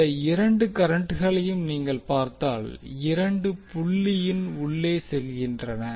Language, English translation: Tamil, So if you see these two currents, both are going inside the dot